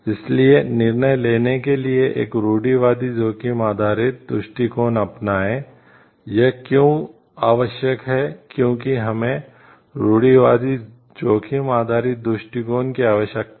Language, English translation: Hindi, So, adopt a conservative risk based approach to decision making, why this is required, why we need to have a conservative risk based approach it is like